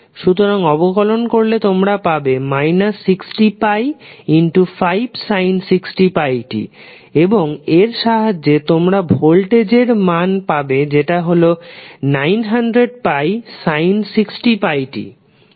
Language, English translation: Bengali, so, if you differentiate you will get minus pi into 5 sin 60 pi t and with this you will get the value of voltage v as minus 900 pi sin 60 pi t